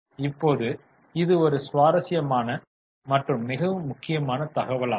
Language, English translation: Tamil, Now this is a very interesting and important information